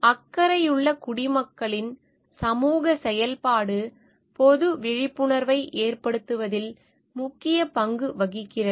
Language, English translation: Tamil, Social activism by concerned citizens has played a key role in raising public awareness